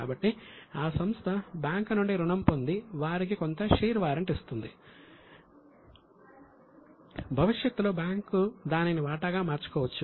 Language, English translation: Telugu, So what we do is when we take loan,, we give them some share warrants and these share warrants can later on be converted into shares by the bank